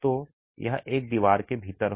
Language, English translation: Hindi, So, be it within a wall